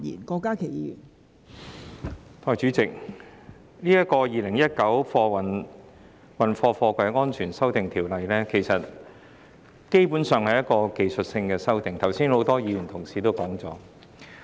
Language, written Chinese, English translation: Cantonese, 代理主席，《2019年運貨貨櫃條例草案》基本上是要實施一些技術性修訂，剛才很多議員已有提及。, Deputy President the Freight Containers Safety Amendment Bill 2019 the Bill basically seeks to implement some technical amendments . Just now many Members already mentioned this